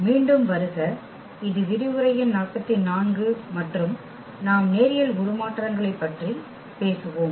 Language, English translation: Tamil, Welcome back and this is lecture number 44 and we will be talking about Linear Transformations